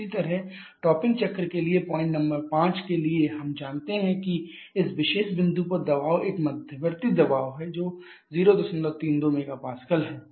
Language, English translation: Hindi, Similarly for the topping cycle for point number 5 we know that pressure of the at this particular point is an intermediate pressure that is 0